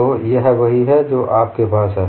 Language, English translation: Hindi, So this is what you have